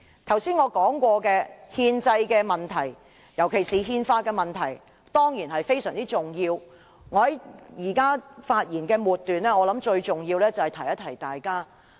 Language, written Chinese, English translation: Cantonese, 剛才我所說的憲制問題，尤其是憲法問題，當然非常重要，在我發言的末段，我認為最重要是提醒大家。, The issue of constitutionality particularly the issue concerning the Constitution which I mentioned earlier is certainly very important . Towards the end of my speech I consider it most important to remind Members of it